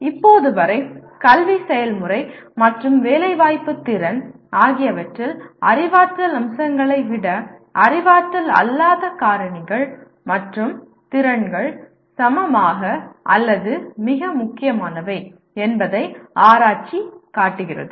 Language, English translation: Tamil, And till now, the research shows that the non cognitive factors and skills are equally or even more important than cognitive aspects in educative process and employment potential